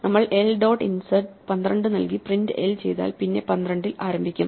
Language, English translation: Malayalam, If we say l dot insert 12 and print l, then 12 will begin